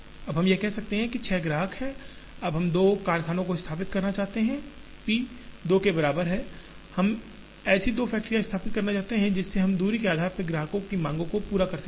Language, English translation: Hindi, Now, we could say that, here are 6 customers, now we want to establish say 2 factories, p equal to 2; we want to establish two factories such that, we are able to meet the customer demands based on distance